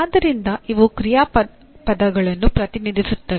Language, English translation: Kannada, So these represent really action verbs